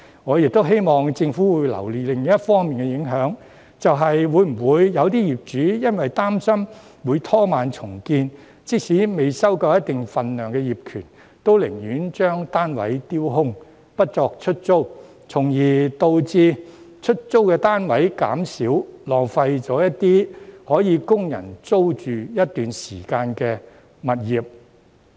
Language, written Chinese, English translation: Cantonese, 我亦希望政府會留意另一方面的影響，就是會否有些業主由於擔心會拖慢重建，即使未收夠一定份數的業權，都寧願把單位丟空，不作出租，從而導致出租單位減少，浪費了一些可供人租住一段時間的物業。, I also hope that the Government will pay attention to another impact ie . whether some landlords would rather leave their units vacant than rent them out for fear of delaying redevelopment even when the authorities have not obtained a certain number of ownership shares resulting in a reduction in the supply of rental units and a waste of some premises that are available for rent on a temporary basis